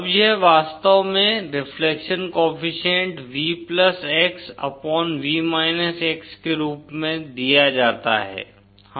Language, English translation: Hindi, Now this actually, the reflection coefficient is given as simply V+x upon V x